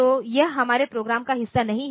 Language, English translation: Hindi, So, that is not a part of our program